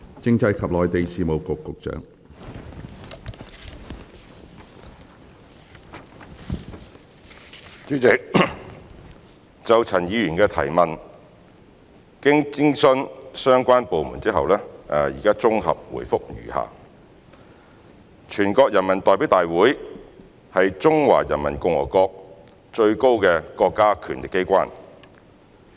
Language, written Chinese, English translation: Cantonese, 主席，就陳議員的質詢，經諮詢相關部門後，現綜合答覆如下。全國人民代表大會是中華人民共和國最高的國家權力機關。, President having consulted the relevant bureau and department our consolidated reply to Ms Tanya CHANs question is as follows The National Peoples Congress NPC is the highest state organ of power of the Peoples Republic of China